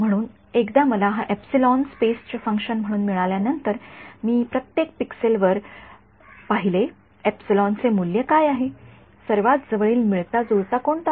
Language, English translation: Marathi, So, once I have got my this epsilon as a function of space, I just look up each pixel what is the value epsilon, what is the nearest fit